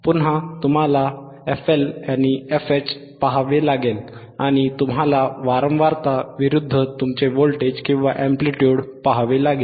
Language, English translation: Marathi, Again, you hasve to looking at FLFL, you are looking at FH right and you are looking at the frequency versus your voltage or amplitude right;